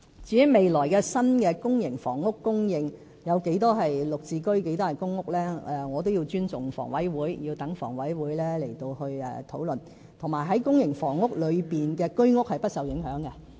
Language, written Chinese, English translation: Cantonese, 至於未來新的公營房屋供應有多少是"綠置居"和公屋，我也要尊重房委會，讓他們討論，而且在公營房屋裏的居屋是不受影響的。, As regards the ratio of GSH units to PRH units in new public housing in the future I need to respect HA and let it discuss the issue . Besides the supply of HOS flats in the provision of public housing will not affected